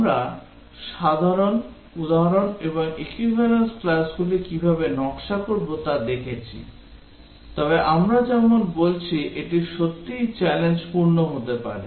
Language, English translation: Bengali, We looked at simple example and how to design the equivalence classes, but as we are saying that it can be really challenging